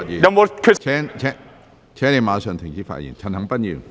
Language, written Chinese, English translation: Cantonese, 何俊賢議員，請立即停止發言。, Mr Steven HO please stop speaking immediately